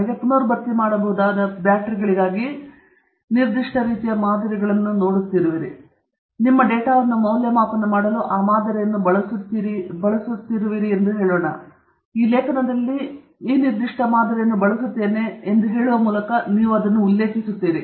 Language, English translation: Kannada, Let’s say you are looking at a particular kind of model for rechargeable batteries, and you are using that model to assess your data, then you mention that saying that, saying that, in this paper we are using this particular model